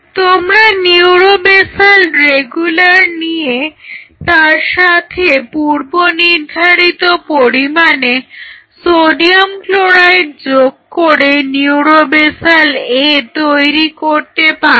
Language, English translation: Bengali, So, essentially you can have a neuro basal regular, and you add that pre requisite amount of NaCl to make it neuro basal A